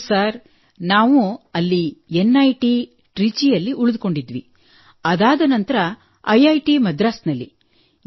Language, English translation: Kannada, Yes there we stayed at NIT Trichy, after that at IIT Madras